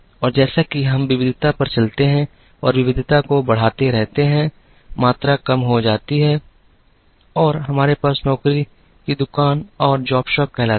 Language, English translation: Hindi, And as we move on the variety and keep increasing the variety, the volume comes down and we have what is called the job shop